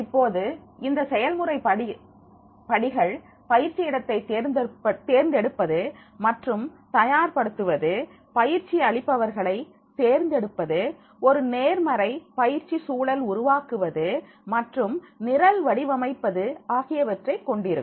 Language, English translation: Tamil, Now this practical step includes the selecting and preparing the training site, selecting the trainers, creating a positive learning environment and the program design